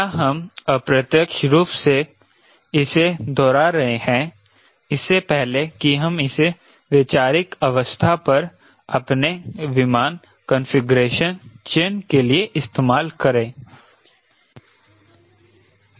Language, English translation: Hindi, this is indirectly you are also revising before we try to utilize this for our aircraft configuration selection at a conceptual stage